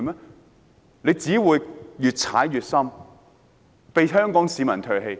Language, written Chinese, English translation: Cantonese, 他們只會越踩越深，被香港市民唾棄。, They will only sink deeper and deeper and be deserted by Hong Kong people